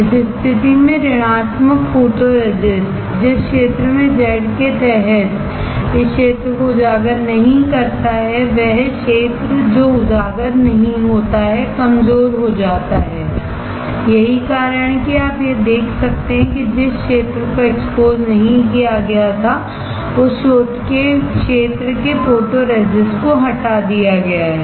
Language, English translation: Hindi, In this case negative photoresist the area which is not exposed this area under Z the area which is not exposed gets weaker that is why you can see that photoresist from the area which was not exposed is etched is removed